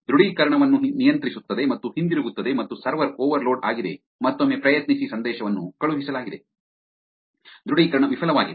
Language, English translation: Kannada, Controls authenticator and comes back and server overloaded try again message is sent, authentication failed